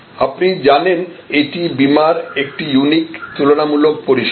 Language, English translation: Bengali, You know this is a unique comparative service of insurance